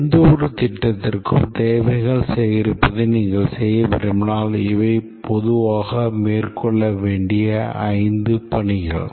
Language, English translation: Tamil, If you want to do requirements gathering for any project, these are the five tasks, five activities that typically we need to carry out